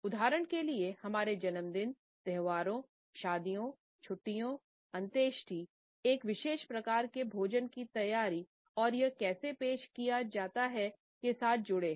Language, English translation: Hindi, For example, our birthdays, our festivals, weddings, holidays, funerals are associated with a particular type of the preparation of food and how it is served